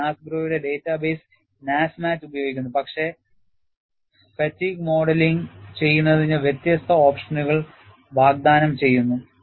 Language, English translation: Malayalam, It uses the data base NASMAT of NASGRO, but offers, different options for modeling fatigue